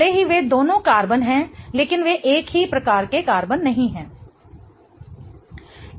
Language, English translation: Hindi, Even though both of them are carbon, they are not the same type of carbon